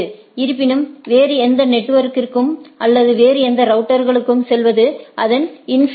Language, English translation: Tamil, But however, going to any other network or any other routers it is the infinity